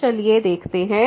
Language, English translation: Hindi, So, let us just check